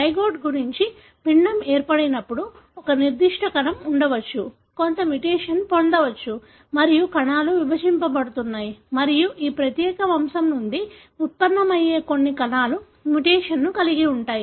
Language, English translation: Telugu, As the zygote multiply and form an embryo, there could be one particular cell, acquires some mutation and as the cells divide and all the cells that are derived from this particular lineage would carry the mutation